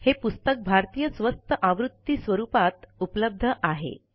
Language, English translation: Marathi, This book is available in a low cost Indian edition as well